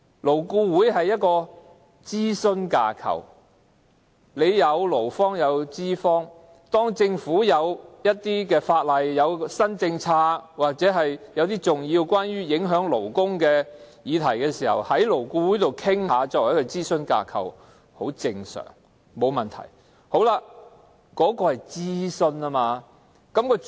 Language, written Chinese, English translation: Cantonese, 勞顧會是諮詢架構，有勞方和資方代表，當政府有一些法案、新政策或一些影響勞工的重要議題，勞顧會作為諮詢架構就此作出討論，很正常，也沒有問題。, LAB is a consultative framework comprising representatives of employers and employees . It is normal that when the Government comes up with some Bills or new policies or confronts some important issues with implications to labour they will be discussed in the consultative framework of LAB . I hold no grudges against that